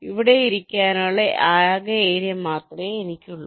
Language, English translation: Malayalam, i only have the total area available to be here